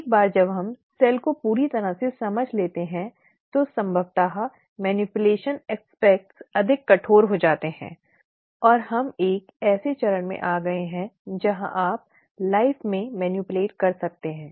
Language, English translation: Hindi, Once we understand the cell completely then possibly the manipulations aspects can get more rigourous and we have come to a stage where you could manipulate life